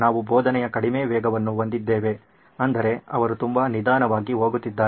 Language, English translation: Kannada, So we have a low pace of teaching which means she is going very slow